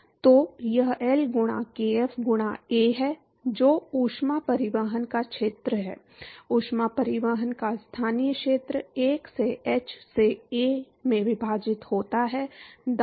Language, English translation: Hindi, So, this is L by kf into A, which is the area of heat transport; local area of heat transport divided by1 by h into A, right